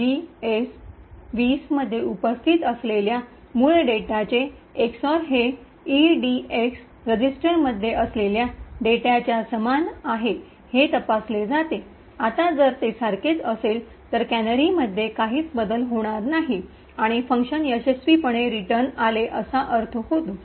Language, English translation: Marathi, So, this is done by checking whether the EX OR of the original data present in GS colon 20 is the same as that in the EDX register, it would that the now if it is the same it would mean that there is no change in the canary and the function return successfully